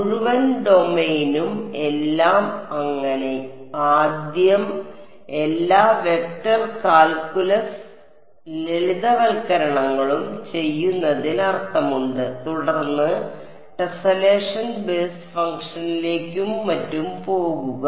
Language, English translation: Malayalam, Whole domain everything so, it makes sense to do all of the vector calculus simplifications first and then go to tessellation basis function and so on